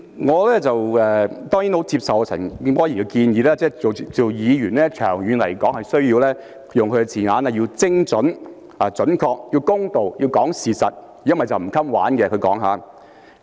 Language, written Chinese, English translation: Cantonese, 代理主席，我當然很接受陳健波議員的建議，他說擔任議員，長遠來說，需要精準、要公道、要講事實，否則便"唔襟玩"，這是他用的字眼。, Deputy President of course I accept Mr CHAN Kin - pors suggestion . He said that to serve as a Member we must be accurate fair and tell the truth in the long run otherwise we will not last long―these are the words he used